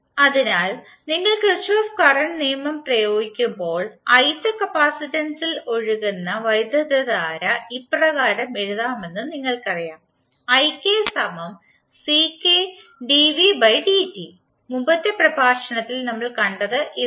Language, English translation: Malayalam, So when you apply Kirchhoff current law, you know that the current flowing in the ith capacitor can be written as ik is equal to ck dv by dt